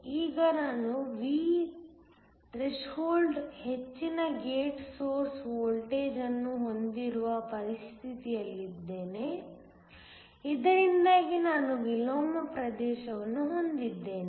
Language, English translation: Kannada, Now, I am in a situation where I have the gate source voltage greater than V threshold, so that I have an inversion region